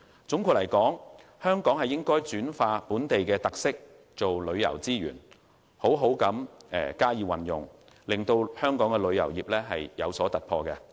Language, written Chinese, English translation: Cantonese, 總括而言，香港應將本地特色轉化為旅遊資源，好好加以利用，為旅遊業帶來突破。, In sum Hong Kong should turn local characteristics into tourism resources and make good use of them in order to make a breakthrough in the tourism industry